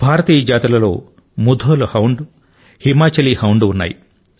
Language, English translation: Telugu, Among the Indian breeds, Mudhol Hound and Himachali Hound are of excellent pedigree